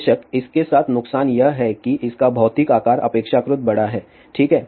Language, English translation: Hindi, Of course, the disadvantage with this is that the physical size of this is relatively large, ok